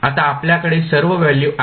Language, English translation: Marathi, Now, you have all the values in the hand